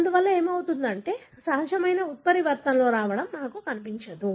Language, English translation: Telugu, Therefore, you will not find any natural mutations coming in